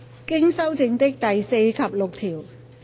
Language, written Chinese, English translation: Cantonese, 經修正的第4及6條。, Clauses 4 and 6 as amended